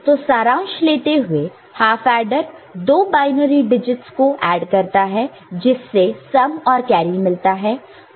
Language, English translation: Hindi, So, to conclude half adder adds two binary digits to generate sum and carry